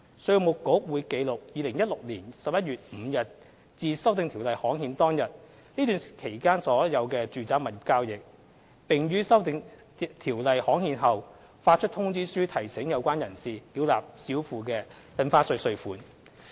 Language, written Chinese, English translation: Cantonese, 稅務局會記錄2016年11月5日至《2017年印花稅條例》刊憲當日這段期間的所有住宅物業交易，並於《修訂條例》刊憲後發出通知書提醒有關人士繳納少付的印花稅稅款。, The Inland Revenue Department will record all the property transactions between 5 November 2016 and the date on which the Stamp Duty Amendment Ordinance is gazetted . Reminders to demand stamp duty underpaid will be issued after the gazettal of the Amendment Ordinance